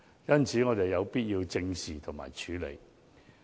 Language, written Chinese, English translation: Cantonese, 因此，我們有必要正視和處理有關問題。, Therefore it is necessary for us to face up to and deal with the problems